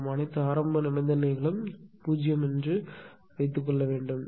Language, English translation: Tamil, So, we have to write down and assuming that all the initial conditions are 0